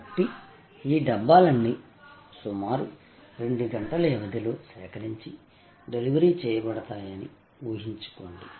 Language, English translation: Telugu, So, imagine that all these Dabbas are picked up within a span of about 2 hours and delivered